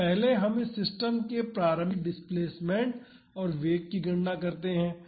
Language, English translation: Hindi, So, first let us calculate the initial displacement and velocity of this system